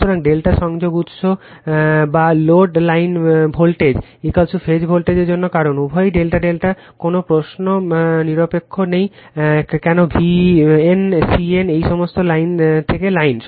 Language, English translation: Bengali, So, for delta connected source or load line voltage is equal to phase voltage because, both are delta delta, there is no question neutral no an bn cn these all line to line